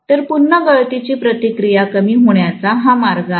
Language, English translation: Marathi, So, this is one of the ways of decreasing again leakage reactance